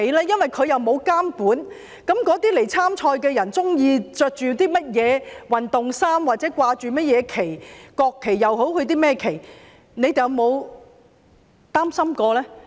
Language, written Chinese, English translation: Cantonese, 因為他們沒有監管，參賽者穿甚麼運動衫、掛甚麼旗幟，國旗也好，甚麼旗也好，你們有否擔心過呢？, As there is no monitoring have you ever worried about the sportswear put on by the participants and the kind of flags they hang whether they are the national flags or any other flags?